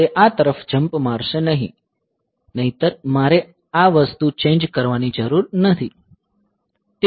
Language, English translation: Gujarati, So, it will be jumping over to this otherwise I do not need to change this thing